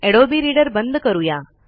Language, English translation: Marathi, So we close the Adobe Reader